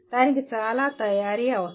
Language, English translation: Telugu, That requires lot of preparation